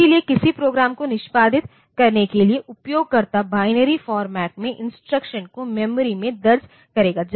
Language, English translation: Hindi, So, to execute a program, the user will enter instructions in binary format into the memory